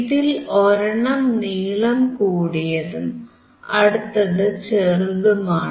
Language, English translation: Malayalam, One is longer one, one is a shorter one